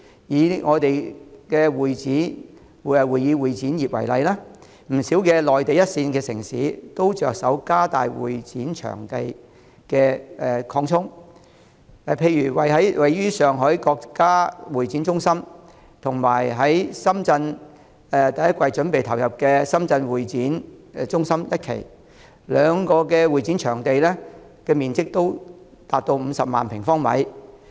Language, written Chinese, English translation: Cantonese, 以會議展覽業為例，不少內地一線城市都着手擴充會展場地，例如位於上海的國家會展中心，以及將於2019年第一季投入使用的深圳國際會展中心一期，兩者的會展場地面積也達 500,000 平方米。, Take the convention and exhibition CE industry as an example . Many first - tier Mainland cities have embarked on expanding CE venues . For example the CE space in the National Exhibition and Conference Centre in Shanghai and Phase 1 of the Shenzhen International Convention and Exhibition Center which will be commissioned in the first quarter of 2019 respectively reach 500 000 sq m The CE venues in Guangzhou are also greater in number and size than those in Hong Kong